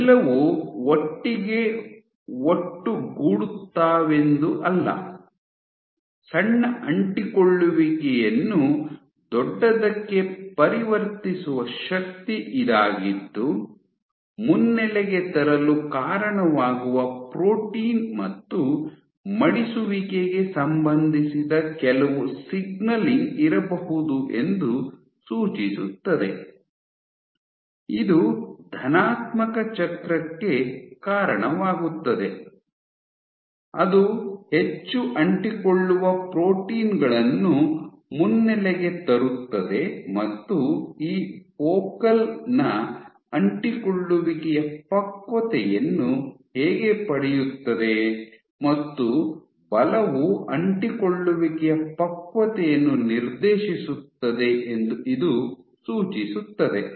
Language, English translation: Kannada, So, it is not that they just assemble together; it is force which drives the conversion of small adhesions to bigger ones suggesting that there might be some signaling associated with protein and folding which leads to recruitment, leads to positive cycle which recruits more adhesion proteins and that is how you get maturation of these focal adhesions